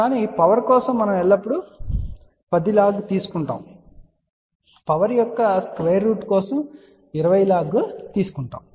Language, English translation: Telugu, But for power we always take 10 log for a square root of power unit we take 20 log